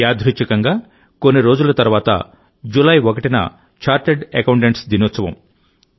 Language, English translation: Telugu, Coincidentally, a few days from now, July 1 is observed as chartered accountants day